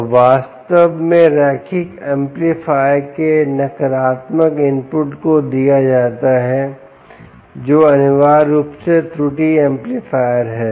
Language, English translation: Hindi, that way it is indeed a negative feedback and actually given to the negative input of the ah linear amplifier, which is essentially the error amplifier